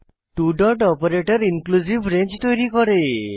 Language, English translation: Bengali, (..) two dot operator creates inclusive range